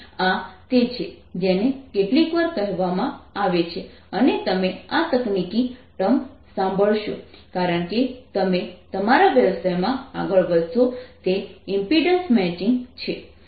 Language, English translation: Gujarati, this is what is sometimes called and you'll hear this technical term as you move further in your profession is impedance matching